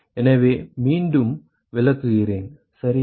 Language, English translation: Tamil, So, let me explain again ok